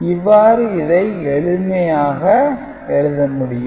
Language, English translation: Tamil, So, it is little bit simple